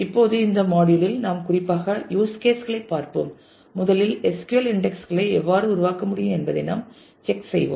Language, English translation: Tamil, Now, in this module we would specifically look into the use cases, we will check as to how indexes can be created in SQL first